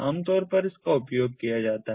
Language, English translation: Hindi, it is commonly used